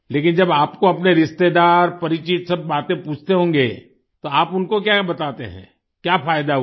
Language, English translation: Hindi, But when all your relatives and acquaintances ask you, what do you tell them, what have the benefits been